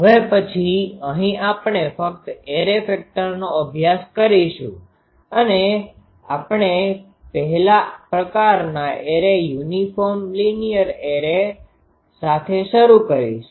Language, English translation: Gujarati, Now here after we will study only the array factor and we will start with the first type of array is uniform linear array